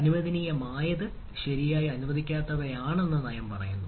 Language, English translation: Malayalam, so the policy says that what is allowed, what is that not allowed, right